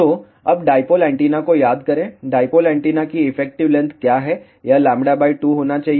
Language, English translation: Hindi, So, now recall dipole antenna, what is the effective length of the dipole antenna it should be lambda by 2